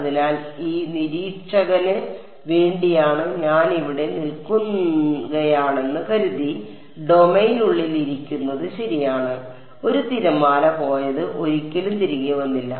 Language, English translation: Malayalam, So, it is like right if I was sitting inside the domain supposing I was standing here for this observer what happened a wave went off never came back